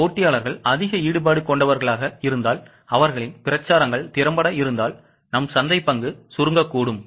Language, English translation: Tamil, So, if competitors are aggressive and if their campaigns are effective, our market share can shrink